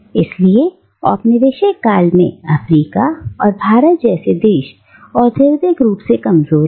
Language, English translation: Hindi, And therefore, places like Africa and India remained, throughout the colonial period, industrially deficient